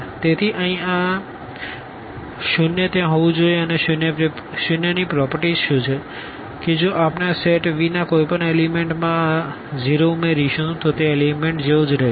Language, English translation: Gujarati, So, here this 0 must be there and what is the property of 0, that if we add this 0 to any element of this set V then that element will remain as it is